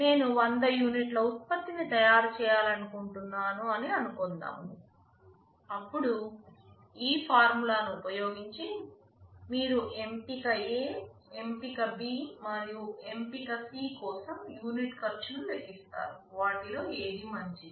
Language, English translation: Telugu, Suppose I tell I want to manufacture 1000 units of product, then using this formula you calculate the per unit cost for choice A, choice B, and choice C; which one of them is better